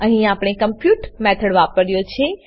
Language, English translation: Gujarati, Here we have used the compute function